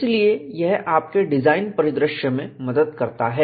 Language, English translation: Hindi, So, this helps in your design scenario